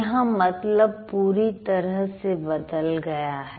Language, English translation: Hindi, So, the meaning completely changes